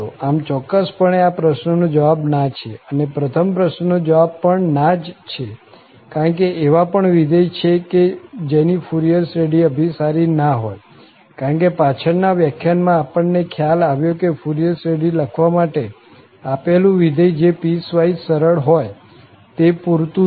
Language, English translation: Gujarati, So, definitely the answer is no to this question and also the answer is no to the first question also, because there are functions whose Fourier series does not converge at all, because what we have realized already in the previous lecture that given a function which is piecewise smooth, that is sufficient to write the Fourier series